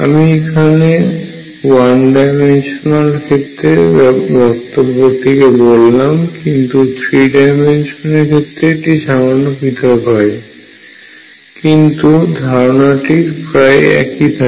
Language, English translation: Bengali, I am giving these arguments for one dimensional systems, now the 3 dimensional has little more certainties, but ideas pretty much the same